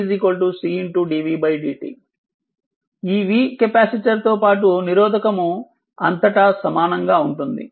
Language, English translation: Telugu, This v is across the same this capacitor as well as the resistor